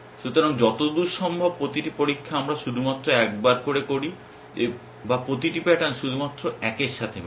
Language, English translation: Bengali, So, that as far as possible each test we make only ones or each pattern will match only ones